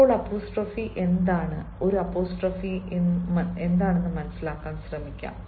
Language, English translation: Malayalam, let us try to understand what is an apostrophe